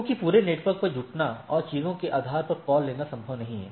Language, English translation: Hindi, Because it is not possible to converge on the whole network and take a call based on the things